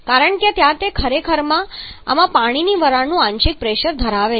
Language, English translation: Gujarati, Because where we actually have partial pressure of water vapour in this